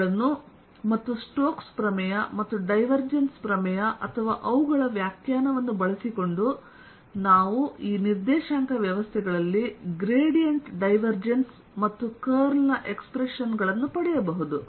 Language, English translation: Kannada, using these and using the stokes theorem and divergence theorem or their definition, we can derive the expressions for the gradient, divergence and curl also in these coordinate systems